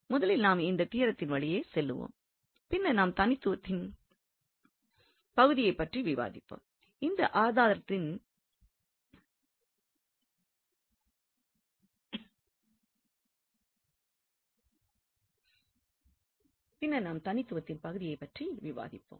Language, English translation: Tamil, So, let's first go through this theorem and then we will have little more discussion on this uniqueness part